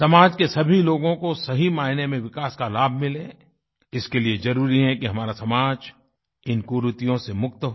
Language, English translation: Hindi, In order to ensure that the fruits of progress rightly reach all sections of society, it is imperative that our society is freed of these ills